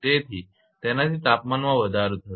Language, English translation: Gujarati, So, that will cause the temperature rise